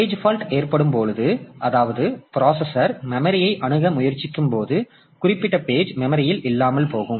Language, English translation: Tamil, So, when a page fault occurs, so when a processor tries to access one memory location and that particular page is absent in the memory